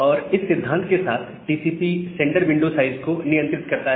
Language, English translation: Hindi, And with this principle, TCP controls the sender window size